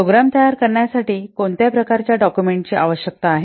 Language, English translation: Marathi, What kind of documents are required to create a program